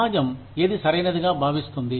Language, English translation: Telugu, What does the society consider as right